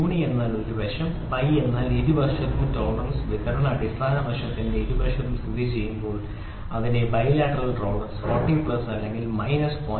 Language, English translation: Malayalam, So, uni means one side, bi means both sides when the tolerance distribution lies on either side of the basic side it is known as bilateral tolerance 40 plus or minus 0